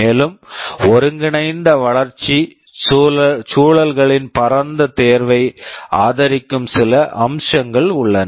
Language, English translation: Tamil, And, there are some features that supports a wide choice of integrated development environments